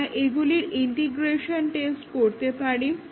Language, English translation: Bengali, What about integration testing